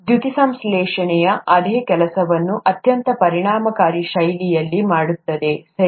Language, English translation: Kannada, Photosynthesis does exactly the same thing in a very efficient fashion, right